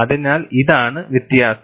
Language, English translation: Malayalam, So, this is the difference